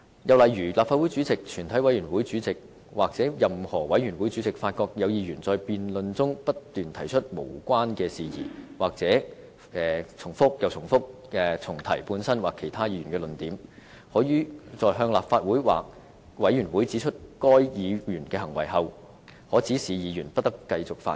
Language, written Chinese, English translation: Cantonese, 又例如立法會主席、全體委員會主席或任何委員會主席發覺有議員在辯論中不斷提出無關的事宜，或不斷重複本身或其他議員的論點，可於向立法會或委員會指出該議員的行為後，指示議員不得繼續發言。, Another example is the proposal that the President the Chairman of a committee of the whole Council or the chairman of any committee after having called the attention of the Council or the committee to the conduct of a Member who persists in irrelevance or repetition of his own or other Members arguments in the debate may direct him to discontinue his speech